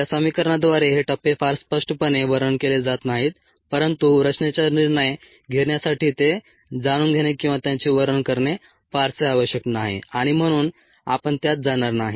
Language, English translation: Marathi, these phases are not very clearly described by this equation, but it may not be very necessary to know them or to describe them for our ends, to make a design decisions, and therefore we will not get into that